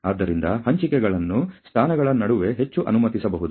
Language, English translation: Kannada, So, the distributions may be allowed to more between positions